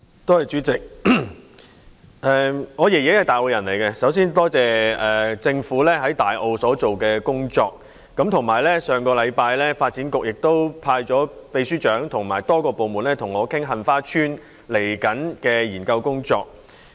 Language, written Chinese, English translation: Cantonese, 代理主席，我的祖父是大澳居民，首先，多謝政府在大澳所做的工作，以及發展局於上星期派出秘書長和多個部門的官員跟我討論即將就杏花邨所進行的研究工作。, Deputy President my grandfather is a Tai O resident . First of all I wish to thank the Government for taking measures in Tai O and sending the Permanent Secretary and officials from various departments to discuss with me the impending study on Heng Fa Chuen last week